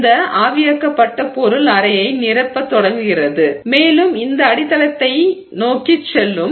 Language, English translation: Tamil, This evaporated material starts filling the chamber and it will also go towards this substrate